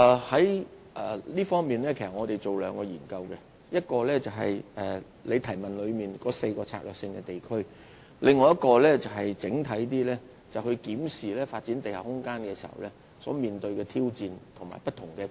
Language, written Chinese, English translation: Cantonese, 在這方面，我們要進行兩項研究，其一是主體質詢所提及的4個策略性地區，其二是較為整體地檢視發展地下空間所面對的挑戰和不同的困難。, In this connection we have to conduct two studies one on the four Strategic Urban Areas SUAs as mentioned in the main question and the other on a holistic review of the challenges and difficulties encountered in taking forward the development of underground space